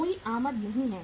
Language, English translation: Hindi, There is no inflow